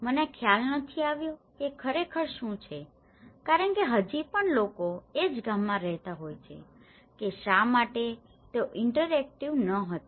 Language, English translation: Gujarati, I didnÃt realize what was really because still, the people are living in the same village what did why they are not interactive